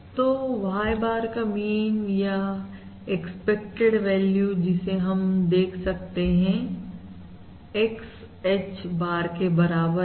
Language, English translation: Hindi, So mean of Y bar, or expected value, as we can look at this, the mean of Y bar equals X H bar